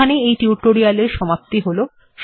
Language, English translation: Bengali, So with this, I come to the end of this tutorial